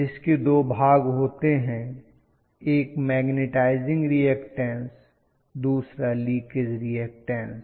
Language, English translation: Hindi, Which has two portions, one corresponding to the magnetizing reactance, the other one corresponding to leakage